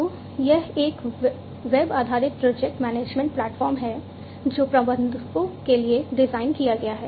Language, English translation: Hindi, So, this is a web based project management platform that is designed for managers